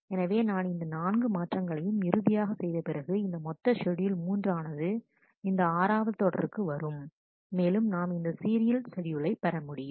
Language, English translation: Tamil, So, I will eventually after these 4 swaps, this whole schedule 3 will transform into this serial 6, and we get a serial schedule